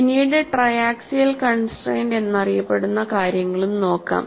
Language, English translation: Malayalam, And later on we will also look at what is known as triaxiality constraint